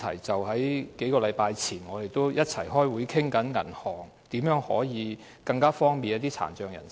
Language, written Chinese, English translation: Cantonese, 在數星期前，我們一起開會討論銀行如何方便一些殘障人士。, A few weeks ago we had a meeting together to discuss how banks could make things more convenient for some people with disabilities